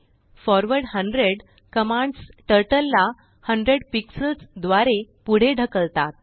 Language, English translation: Marathi, forward 100 commands Turtle to move forward by 100 pixels